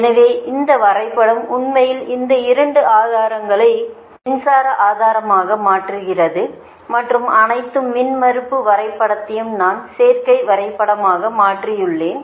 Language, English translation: Tamil, so this diagram, this one, actually transform this two sources, transform in to current source and all the impedance diagram i have been transform in to admittance diagram, right